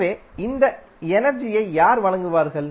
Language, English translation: Tamil, So, who will provide this energy